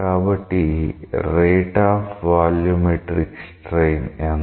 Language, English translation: Telugu, So, what is the rate of volumetric strain